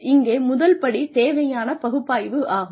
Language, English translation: Tamil, The first step here is needs analysis